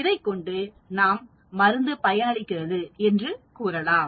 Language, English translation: Tamil, Can we conclude the drug is effective